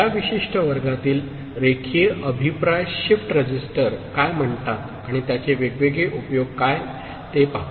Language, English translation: Marathi, We shall look at what is called Linear Feedback Shift Register in this particular class and its different uses